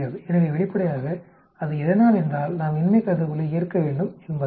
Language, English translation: Tamil, So obviously, that is because we have to accept the null hypothesis